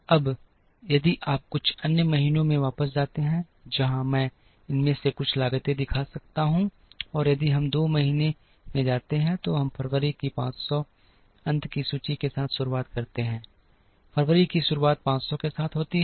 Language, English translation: Hindi, Now, if you go back to few other months, where I can show some of these costs, and if we go to month 2, February we begin with 500 ending inventory of January becomes beginning inventory of February with 500